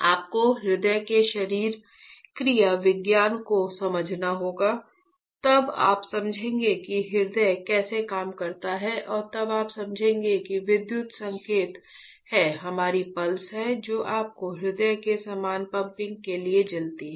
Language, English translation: Hindi, You have to understand the physiology of heart, then you will understand how the heart works and then you will understand there are electrical signals is our pulses that are fired for the uniform pumping of your heart